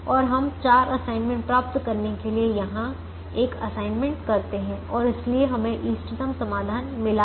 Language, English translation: Hindi, and then we make an assignment here, this goes and we can make an assignment here to get four assignments and therefore we have got the optimum solution